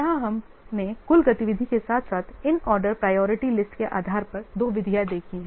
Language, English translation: Hindi, Here we have seen two methods based on the total activity as well as this ordered priority list